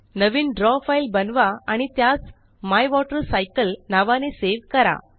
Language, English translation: Marathi, Create a new draw file and save it as MyWaterCycle